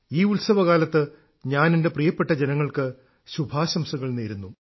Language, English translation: Malayalam, On the occasion of these festivals, I congratulate all the countrymen